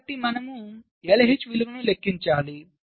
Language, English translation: Telugu, so you compute the value of l h